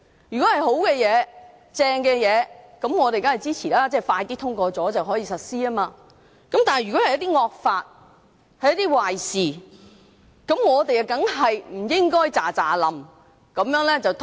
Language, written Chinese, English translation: Cantonese, 如果是好事，我們當然支持，因為加快通過便能夠實施，但如果是一些惡法和壞事，我們當然不應該立刻通過。, If the proposal is desirable we will certainly render support as the proposal can then be passed and implemented expeditiously . Nevertheless if the proposal is related to some draconian laws and something undesirable we certainly should not pass it immediately